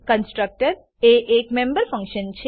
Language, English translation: Gujarati, A constructor is a member function